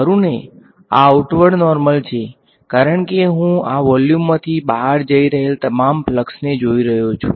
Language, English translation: Gujarati, n 1 right this is the outward normal, because I am looking at all the flux that is leaving this volume